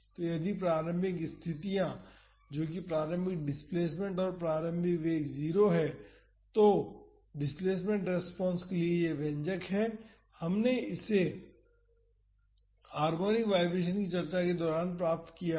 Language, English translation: Hindi, So, if the initial conditions that is the initial displacement and initial velocity are 0, then the expression for the displacement responses this, we had derived it during the harmonic vibration discussion